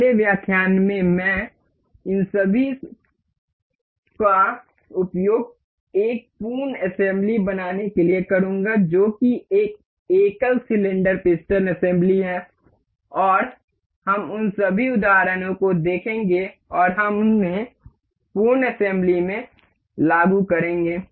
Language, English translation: Hindi, In the next lecture I will go with the I will use all of these assemblies to make one full assembly that is single cylinder piston assembly and we will see all of those examples and we will apply those in the full assembly